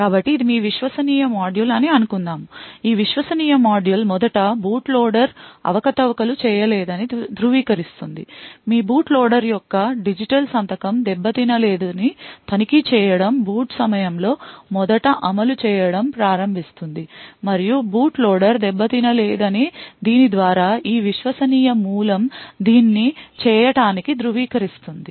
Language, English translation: Telugu, So let us assume that this is your trusted module so this trusted module would then first verify that the boot loader has not being manipulated so to do this by checking that the digital signature of your boot loader has not being tampered with so this root of trust at the time of boot first starts to execute and verifies that the boot loader has not been tampered with